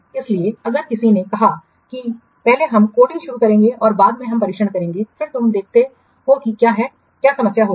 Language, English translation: Hindi, So if somebody says that first we will start coding and later on will the testing, then you see what problem will occur